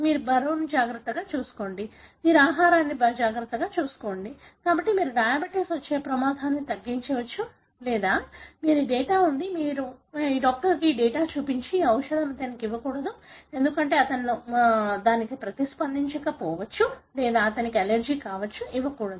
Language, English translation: Telugu, You better take care of your weight, better take care of your diet, therefore you can minimize the risk of having developing diabetes or you know, you have this data; your doctor looks at the data and tell, ok, this drug should not be given to him, because he may not respond to that or this may be allergic to him, should not be given